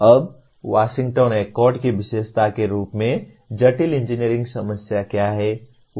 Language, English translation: Hindi, Now what are complex engineering problems as characterized by Washington Accord itself